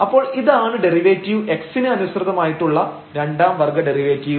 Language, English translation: Malayalam, So, this is the derivative, the second order derivative with respect to x, which is already written there